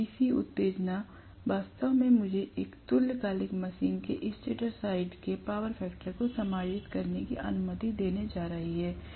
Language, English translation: Hindi, So the DC excitation actually is going to allow me to adjust the power factor of the stator side of a synchronous machine